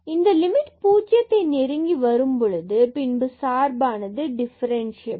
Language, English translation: Tamil, If we do not get this limit as 0 then the function is not differentiable